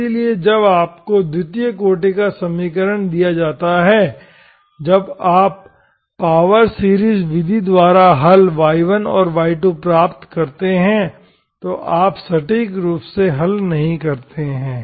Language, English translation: Hindi, So when, when you are given a second order equation, by the power series method when you derive, when you derive the solution, y1 and y2, when you determine the solutions y1 and y2, you do not exactly solve